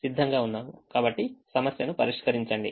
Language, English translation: Telugu, so just solve the problem